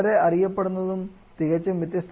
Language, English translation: Malayalam, Quite well known and quite different thermodynamic properties